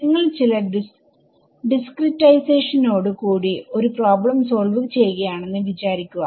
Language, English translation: Malayalam, Supposing you solve a problem with a certain discretization